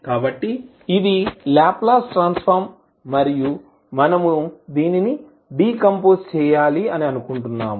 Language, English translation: Telugu, So, this is the Laplace Transform and we want to decompose it